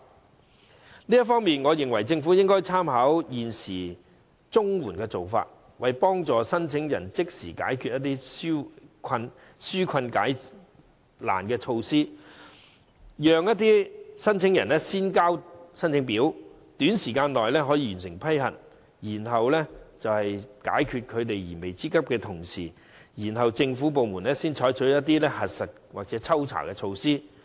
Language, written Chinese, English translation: Cantonese, 就這方面，我認為政府應參考現時綜援的做法，為申請人即時解難紓困，讓申請人可以先交申請表，短時間內可完成批核，既可解決他們燃眉之急，同時政府部門可採取核實或抽查的措施。, In this connection I think the Government should draw reference from the current approach adopted for CSSA to provide immediate relief to applicants . The Government may allow applicants to submit application forms first where the examination of the applications will be completed within a short time . This will address the imminent needs of applicants on the one hand and allow government departments to take measures to verify or make random inspections of the applications on the other